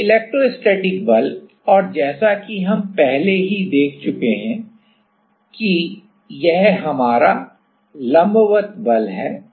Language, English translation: Hindi, So, electrostatic force and as we already have seen that is our normal force right